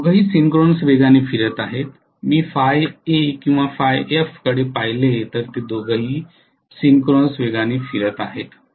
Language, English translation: Marathi, Both of them are rotating at synchronous speed, if I look at phi a or phi f both of them are rotating at synchronous speed